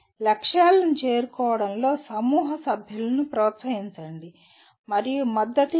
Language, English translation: Telugu, Encourage and support group members in meeting the goals